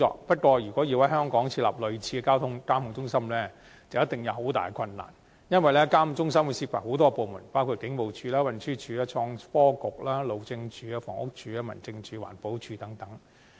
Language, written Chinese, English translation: Cantonese, 不過，如果要在香港設立類似的交通指揮中心，必定大有困難，因為相關指揮中心涉及很多部門，包括警務處、運輸署、創新及科技局、路政署、房屋署、民政事務總署、環境保護署等。, However there would be considerable difficulties if a similar traffic command centre were to be established in Hong Kong due to the likely involvement of numerous departments such as the Police Force the Transportation Department the Innovation and Technology Bureau the Highways Department the Housing Authority the Home Affairs Department and the Environmental Protection Department